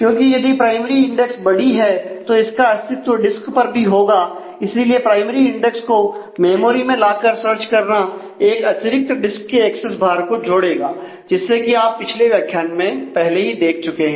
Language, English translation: Hindi, So, because if the primary index is large then that also has to exist in the disk and therefore, bringing that primary index into the memory and then searching will add to additional access cost of the disk and you have already seen in the earlier modules as